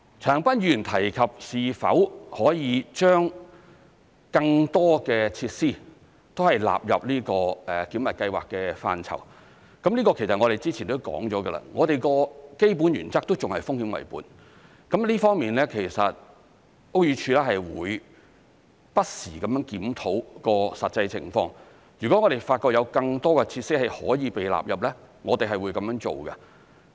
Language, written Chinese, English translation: Cantonese, 陳恒鑌議員提及是否可以將更多設施納入這個檢核計劃的範疇，這個之前提及到，我們的基本原則仍是"風險為本"，屋宇署會不時檢討實際情況，如果發現有更多的設施可以被納入，我們是會這樣做的。, Mr CHAN Han - pan has mentioned whether it is possible to include more features in the validation scheme . As mentioned earlier our basic principle is still risk - based . The Buildings Department will review the actual situation from time to time